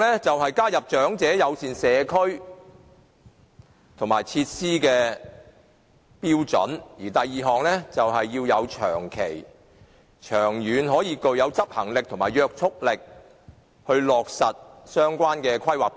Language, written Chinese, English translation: Cantonese, 第一，加入長者友善社區及設施的標準；第二，要有長期、長遠的執行力及約束力來落實相關的《規劃標準》。, First it is necessary for these community facilities to include elements friendly to the elderly population; second long - term binding force is essential to the implementation of the relevant planning standards